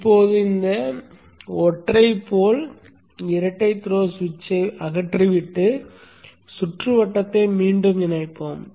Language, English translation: Tamil, So let us now remove this single pole double through switch and reconnect the circuit